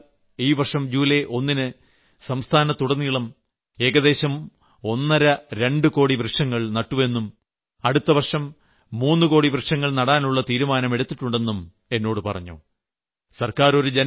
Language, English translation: Malayalam, I have been told that the Maharashtra government planted about 2 crores sapling in the entire state on 1st July and next year they have taken a pledge to plant about 3 crores trees